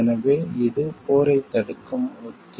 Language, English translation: Tamil, So, it is a strategy to prevent war